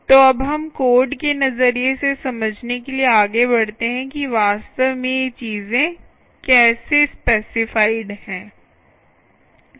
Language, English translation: Hindi, so now lets move on to understand from a from code perspective, how exactly these things actually are